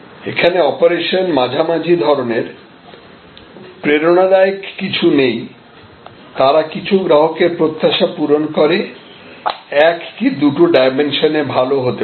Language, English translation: Bengali, Here, the operation is mediocre, there is nothing very inspiring, they meet some customer expectation and then, may be good in one or two dimensions